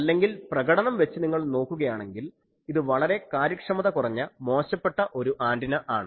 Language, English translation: Malayalam, Otherwise, if you see the performance of this antenna this is very, very poor efficiency antenna